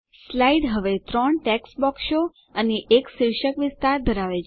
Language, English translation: Gujarati, The slide now has three text boxes and a title area